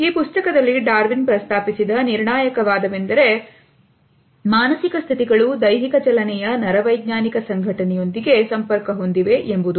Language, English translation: Kannada, The crucial argument which Darwin had proposed in this book was that the mental states are connected to the neurological organization of physical movement